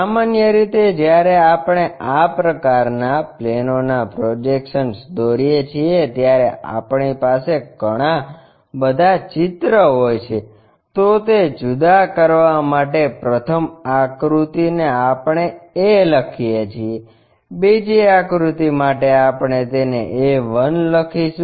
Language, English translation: Gujarati, Usually, when we are constructing these kind of projection of planes we will have multiple figures to distinguish that at the first figure level we write a, in the next figure level we write it a 1